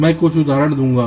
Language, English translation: Hindi, i shall give some examples